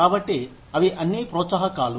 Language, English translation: Telugu, So, those are all the perks